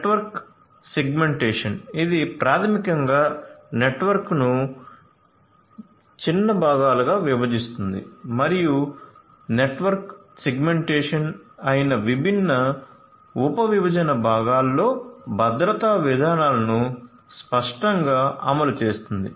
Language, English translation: Telugu, Network segmentation, which is basically dividing the network into smaller parts and enforcing security policies explicitly in those different subdivided parts that is network segmentation